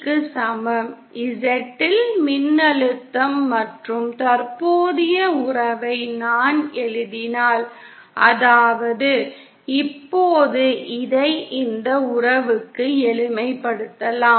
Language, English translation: Tamil, If I write the voltage and current relationship at Z, that isÉnow this can be simplified to this relationship